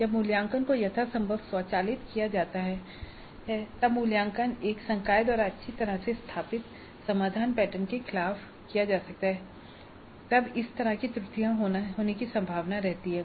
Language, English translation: Hindi, This again is facilitated when the evaluation can be automated to the extent possible or when the evaluation is by a faculty against well established solution patterns